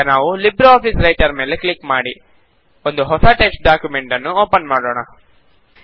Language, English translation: Kannada, Let us now click on LibreOffice Writer to open a new text document